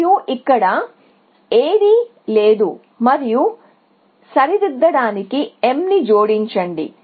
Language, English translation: Telugu, And here, no that is all and add m to correct